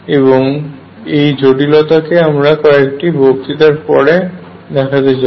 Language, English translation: Bengali, And this has implications which I will discuss a couple of lectures later